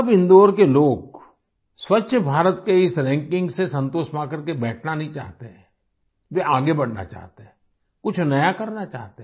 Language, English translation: Hindi, Now the people of Indore do not want to sit satisfied with this ranking of Swachh Bharat, they want to move forward, want to do something new